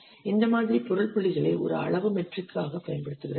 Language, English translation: Tamil, This model uses object points as a size matrix